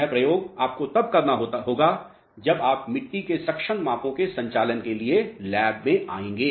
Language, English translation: Hindi, This experiment you will be you will be demonstrated when you come to the lab for conducting the soil suction measurements